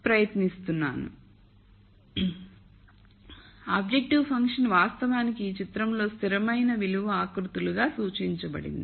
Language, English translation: Telugu, So, the objective function is actually represented in this picture as this constant value contours